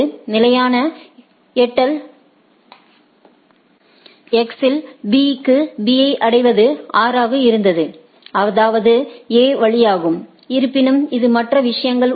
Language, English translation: Tamil, Reaching B for B in stable reaching X was 6 and it is via A and nevertheless it is other things are there